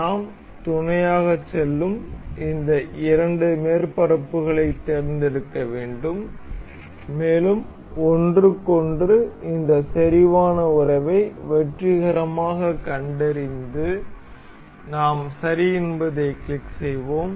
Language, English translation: Tamil, We will have we have to select these two surfaces we will go on mate, and it is successfully detected this concentric relation with each other we will click ok